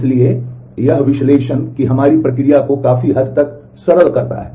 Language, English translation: Hindi, So, that simplifies our process of analysis to a good extent